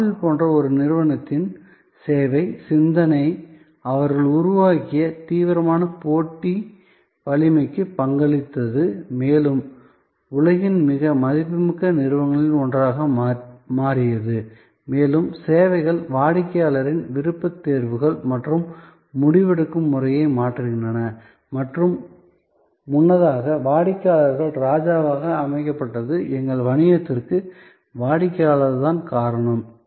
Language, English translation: Tamil, And service thinking of a company like apple contributed to that radical competitive strength they have created becoming the one of the most valuable companies of the world and services are also changing customer's choices power and decision making and earlier it was set customer is the king customer is the reason for our business